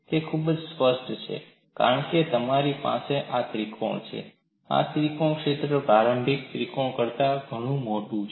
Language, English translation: Gujarati, It is very obvious, because you have this triangle; this triangle area is much larger than the initial triangle